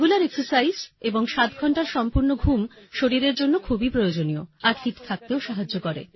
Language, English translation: Bengali, Regular exercise and full sleep of 7 hours is very important for the body and helps in staying fit